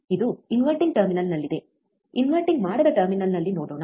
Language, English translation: Kannada, This is at inverting terminal, let us see at non inverting terminal,